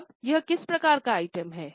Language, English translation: Hindi, Now it is what type of item